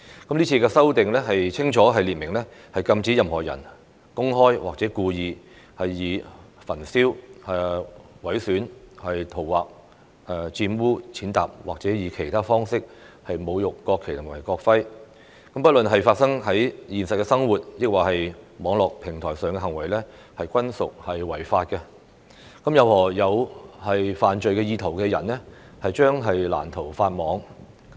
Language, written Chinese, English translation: Cantonese, 這次的修訂清楚列明禁止任何人公開或故意以焚燒、毀損、塗劃、玷污、踐踏或以其他方式侮辱國旗和國徽，不論是發生在現實生活抑或網絡平台上的行為，均屬違法，任何有犯罪意圖的人將難逃法網。, The Bill clearly sets out that no one is allowed to publicly or intentionally desecrate the national flag and national emblem by burning damaging defacing defiling trampling upon or any other means . Such behaviour is against the law no matter it takes place in the real world or on the Internet . Anyone with such criminal intents will not escape the long arm of the law